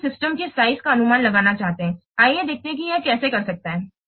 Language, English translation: Hindi, Now we want to estimate the size of the system